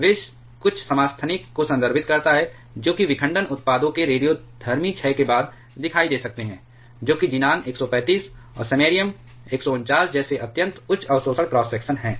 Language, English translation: Hindi, Poisons refers to certain isotopes which may appear following radioactive decay of the fission products, which is extremely high absorption cross section, like xenon 135 and samarium 149